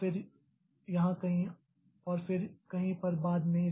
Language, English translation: Hindi, So, somewhere here, then somewhere here, then again somewhere at some point later